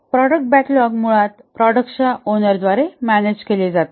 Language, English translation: Marathi, The product backlog is basically managed by the product owner